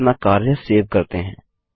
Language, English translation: Hindi, Let us save our work